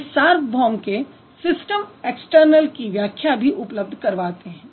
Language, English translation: Hindi, And what he does, he also provides system external explanation of universals